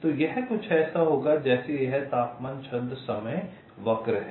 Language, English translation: Hindi, so it will be something like this: temperature verses time curve